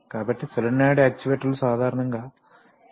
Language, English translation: Telugu, So solenoid actuators are generally of lower size